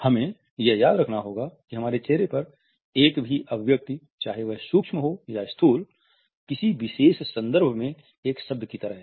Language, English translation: Hindi, We also have to remember that a single expression on our face whether it is micro or macro is like a word in a particular context